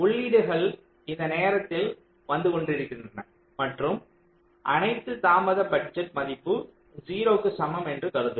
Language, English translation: Tamil, let say the inputs are arriving at these time steps and just initially we assume that all delay budgets are equal to zero